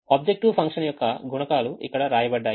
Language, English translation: Telugu, so the objective function is a multiplication of this